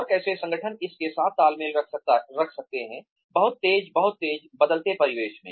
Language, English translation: Hindi, And, how can organizations keep pace with this, very fast, very quick, changing environment